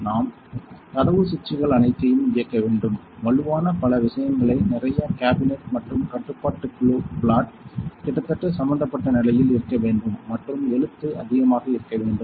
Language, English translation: Tamil, We have to door switches all door switches; strong strengthen a right lot of thing cabinet and control panel plot almost should be involved position and writing should be more than